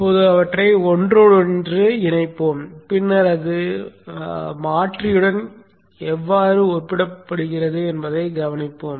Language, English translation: Tamil, Now let us interconnect them and then observe how it comes back to the converter